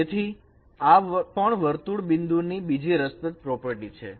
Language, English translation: Gujarati, That is another property of circular points